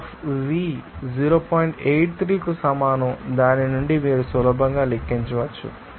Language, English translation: Telugu, 83 from which you can calculate easily